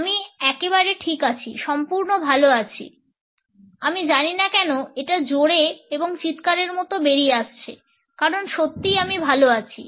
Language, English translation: Bengali, Absolutely I am fine totally fine I do not know why it is coming out all loud and squeaky because really I am fine